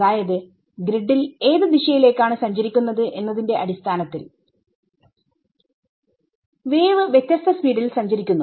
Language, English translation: Malayalam, So, now the wave travels at different speeds depending on which direction it is travelling in the grid